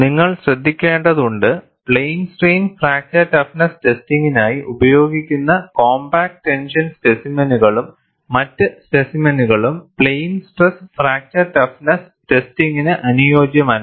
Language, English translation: Malayalam, You have to note, the compact tension specimen and other such specimens used for plane strain fracture toughness testing are not suitable for plane stress fracture toughness testing